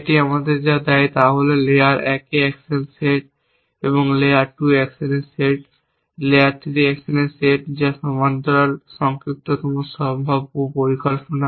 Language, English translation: Bengali, What it gives us is the set of actions at layer 1, set of actions in layer 2, set of actions in layer 3 which is the parallel shortest possible planning